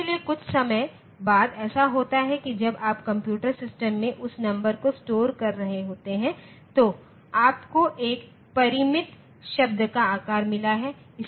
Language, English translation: Hindi, So, after some time what happens is that there when you are storing that number in a computer system you have got a finite word size